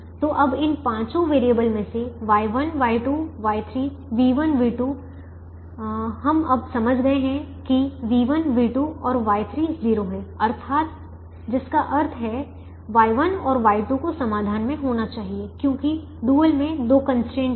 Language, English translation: Hindi, so now, out of these five variables in the dual, y one, y two, y three, v one, v two we have now understood that v one, v two and y three are zero, which means y one and y two have to be in the solution because the dual has two constraints